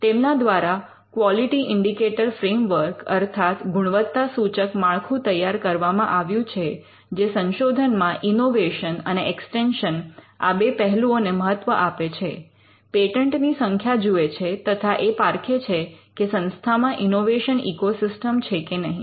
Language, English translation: Gujarati, Now, it has developed the quality indicator framework which looks at research innovation and an extension and one of the factors they look at is the number of patents obtained and whether there is an innovation ecosystem